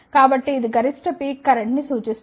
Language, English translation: Telugu, So, it represents a maximum peak current